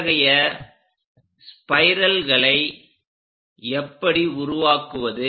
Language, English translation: Tamil, How to construct such kind of spirals